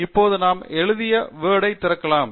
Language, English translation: Tamil, Let us now open the Word file that we have written